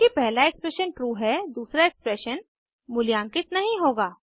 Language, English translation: Hindi, Since the first expression is true , second expression will not be evaluated